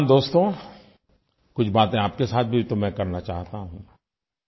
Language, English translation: Hindi, Young friends, I want to have a chat with you too